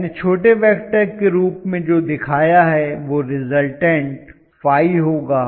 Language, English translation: Hindi, Whatever I have shown as the small vector will be the resultant Phi